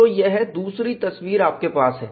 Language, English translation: Hindi, So, this is the other picture you have